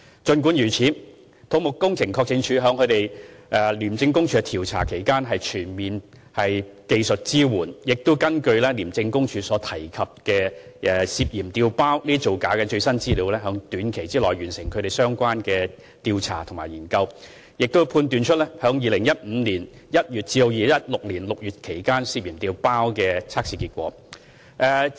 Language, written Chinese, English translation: Cantonese, 儘管如此，土木工程拓展署在廉署進行調查期間，提供全面技術支援，亦根據廉署提及涉嫌調包造假的最新資料，在短期內完成相關的調查和研究，並判斷出在2015年1月至2016年6月期間涉嫌調包的測試結果。, Nevertheless CEDD had in the course of ICACs investigation provided comprehensive technical support and completed the relevant investigations and studies within a short time based on the latest information from ICAC on suspected replacement and falsification . CEDD had identified the test reports suspected of being replaced during the period from January 2015 to June 2016